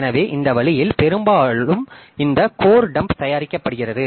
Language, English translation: Tamil, So, that way this, often this code dump is produced